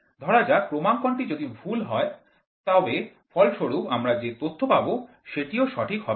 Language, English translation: Bengali, Suppose if the calibration is wrong, so then whatever data we get the result is also not clear